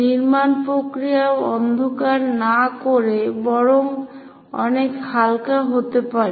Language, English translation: Bengali, The construction procedure can be much lighter also instead of darkening it